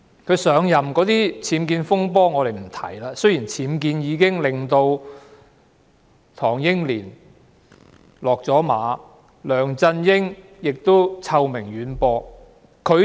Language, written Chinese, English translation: Cantonese, 她上任前的僭建風波，我們暫且不說，但其實僭建曾令唐英年"落馬"，並令梁振英臭名遠播。, Let us not talk about the dispute on her UBWs before her assumption of office . In fact UBWs caused the defeat of Henry TANG and brought notoriety to LEUNG Chun - ying